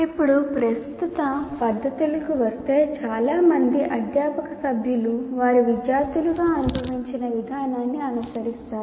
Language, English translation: Telugu, Now coming to the current practices, most faculty members simply follow the process they experienced as students